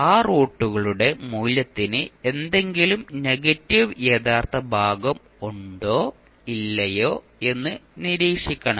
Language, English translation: Malayalam, You have to observe whether the value of those roots are having any negative real part or not